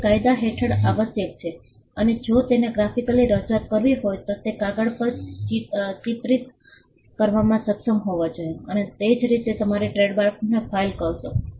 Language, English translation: Gujarati, That is a requirement under the law and if it has to be graphically represented, it should be capable of being portrayed on paper, and that is how you file your trademarks